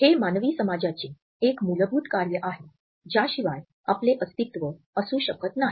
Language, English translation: Marathi, This is a fundamental function of human society without which we cannot exists